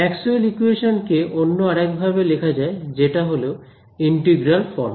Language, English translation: Bengali, There is another version of Maxwell’s equations which is in integral form right